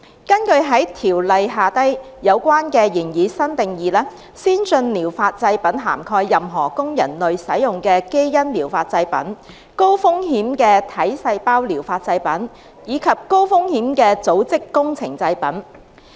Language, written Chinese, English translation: Cantonese, 根據《條例》下有關的擬議新定義，先進療法製品涵蓋任何供人類使用的"基因療法製品"、高風險的"體細胞療法製品"，以及高風險的"組織工程製品"。, Under the proposed new definition in the Ordinance ATPs cover a gene therapy product a high - risk somatic cell therapy product and a high - risk tissue engineered product that are for human use